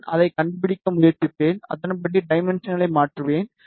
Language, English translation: Tamil, And I will just try to locate it and then I will change the dimensions accordingly